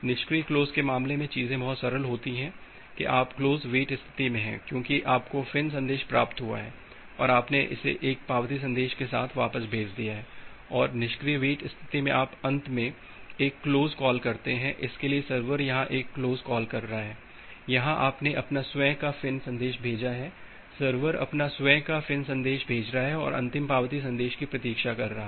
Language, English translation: Hindi, In case of passive close, things are pretty simple that you are in the close wait state because you have received the FIN message and you have send back with an acknowledgement message and in the passive wait state you finally make a close call, so the server here is making a close call here you sent your own FIN message, server is sending its own FIN message and waiting for the last acknowledgement message